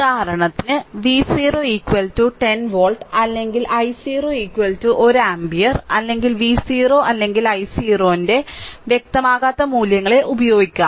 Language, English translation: Malayalam, For example, we may use V 0 is equal to 10 volt or i 0 is equal to 1 ampere or any unspecified values of V 0 or i 0 right